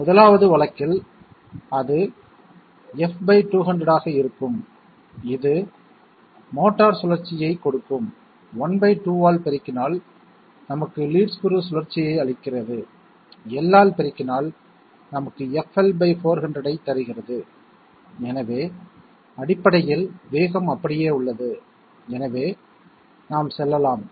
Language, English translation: Tamil, And in the 1st case therefore it will be F by 200 giving the motor rotation multiplied by half that gives us the lead screw rotation multiplied by L gives us FL by 400, so essentially the speed is remaining the same, so the let us go back and let us find out the correct answer